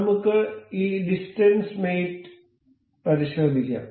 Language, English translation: Malayalam, We will check with this distance mate